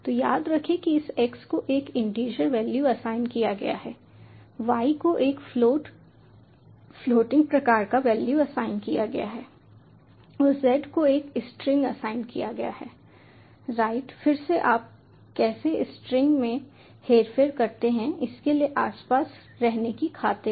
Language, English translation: Hindi, so remember this: x has been assigned with an integer value, y has been assigned with a float floating type value and z has been assigned with a string, right again, for the sake of toying around with how you manipulate strings